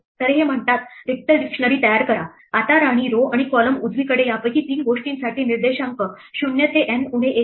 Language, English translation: Marathi, So, this says create an empty dictionary; Now for three of these things for queen, row and column right the indices are 0 to N minus 1